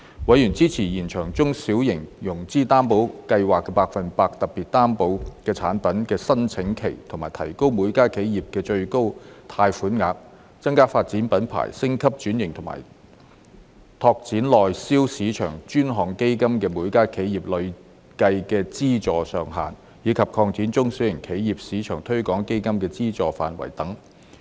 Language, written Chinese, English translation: Cantonese, 委員支持延長中小企融資擔保計劃下百分百特別擔保產品的申請期及提高每家企業的最高貸款額；增加發展品牌、升級轉型及拓展內銷市場的專項基金的每家企業累計資助上限；以及擴展中小企業市場推廣基金的資助範圍等。, Members supported extending the application period of the Special 100 % Guarantee Product under the SME Financing Guarantee Scheme and increasing the maximum loan amount per enterprise; increasing the cumulative funding ceiling per enterprise under the Dedicated Fund on Branding Upgrading and Domestic Sales; and expanding the funding scope of the SME Export Marketing Fund etc